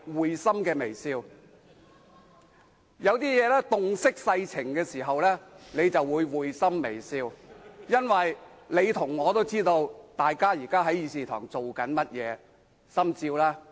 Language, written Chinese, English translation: Cantonese, 有時候，當你洞悉世情時便會會心微笑，因為你和我也知道大家現時在議事堂正做些甚麼，心照吧。, When you realize how things work in life you will have a smile of understanding . You and I know what Members are really doing here in the Chamber . I think we have a tacit understanding